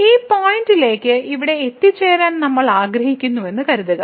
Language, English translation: Malayalam, Suppose we want to approach to this point here, then there are several paths to approach this point